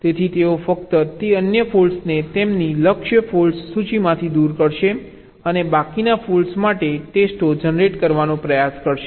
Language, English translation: Gujarati, so they will simply remove those other faults from their target for list and try to generate fault the tests for the remaining faults